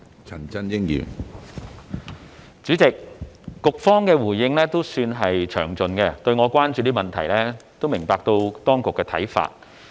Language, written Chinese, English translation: Cantonese, 主席，對於我關注的問題，局方的回應算是詳盡，而我亦明白當局的看法。, President the Bureau has given quite a detailed response to my concerns and I can see its point